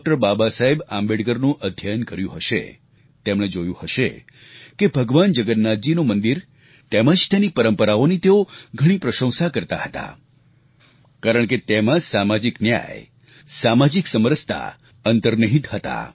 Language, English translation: Gujarati, Baba Saheb Ambedkar, would have observed that he had wholeheartedly praised the Lord Jagannath temple and its traditions, since, social justice and social equality were inherent to these